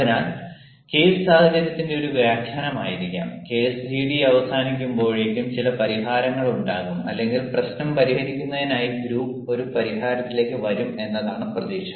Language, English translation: Malayalam, so the case may be an interpretation of the situation and the expectation is that by the end of the ah case, gd, some solution will be there or the group will come ah to one ah solution, ah, in order to solve the problem